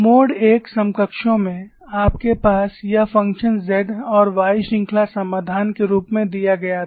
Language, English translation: Hindi, In mode 1 counterparts, you had this function z and y given as a series solution